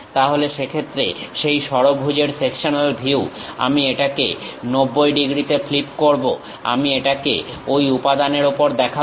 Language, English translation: Bengali, Then in that case, that sectional view of hexagon I will flip it by 90 degrees, on the material I will show it